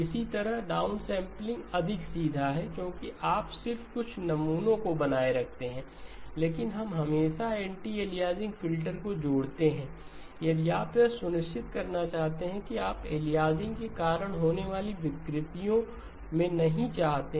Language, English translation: Hindi, Likewise, downsampling is more straightforward because you just retain some samples, but we always associate an anti aliasing filter if you want to make sure that you do not want to run into the distortions caused by the aliasing